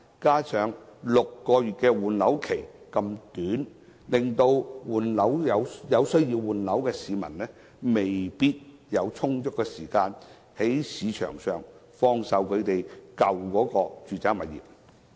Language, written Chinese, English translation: Cantonese, 此外 ，6 個月換樓期實在太短，有需要換樓的市民未必有充足時間，在市場上放售舊有住宅物業。, In addition the six - month statutory time limit for disposal of the original property is too short and people who need to replace their properties may not have sufficient time to sell their original residential properties in the market